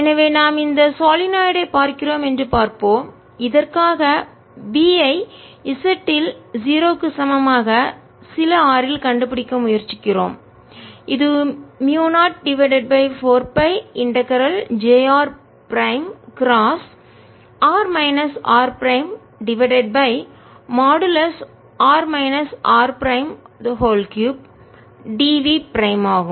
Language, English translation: Tamil, so let's see, we are looking at this solenoid and we are trying to find d for this at z equal to zero, at some r which is equal to mu, zero over four pi integral j r prime cross r minus r prime over r minus r prime, cubed d v prime